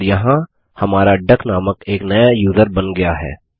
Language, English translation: Hindi, And here is our newly created user named duck